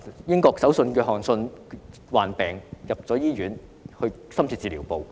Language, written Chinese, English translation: Cantonese, 英國首相約翰遜患病進入醫院的深切治療部。, British Prime Minister Boris JOHNSON was admitted to the intensive care unit of a hospital when he got infected